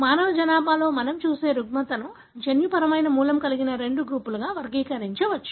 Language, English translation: Telugu, So, the disorder that we look into in the human population can be categorized into two groups that have the genetic origin